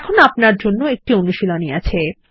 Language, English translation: Bengali, Here is another assignment for you